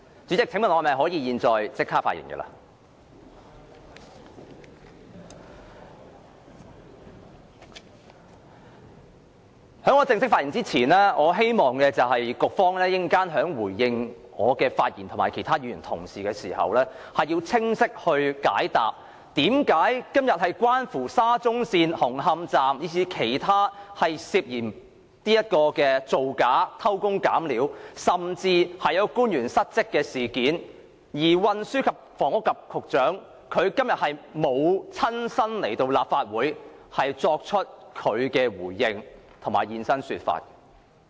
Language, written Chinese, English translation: Cantonese, 在我正式發言前，我希望副局長稍後回應我及其他議員的發言時，能清晰地向我們解釋，今天的議題是有關沙中線紅磡站，以至其他涉嫌造假，偷工減料，甚至官員失職的事件，為何運輸及房屋局局長沒有出席立法會會議作出回應。, Before I formally deliver my speech I hope that when the Under Secretary later responds to the speech of mine and of other Members he will clearly explain to us why the Secretary for Transport and Housing did not attend the Council meeting today to respond to our discussion on the Hung Hom Station of SCL suspected falsification shoddy work and use of inferior material and even dereliction of duties on the part of public officials